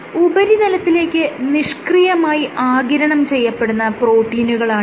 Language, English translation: Malayalam, You have these proteins which are passively adsorbed onto the surface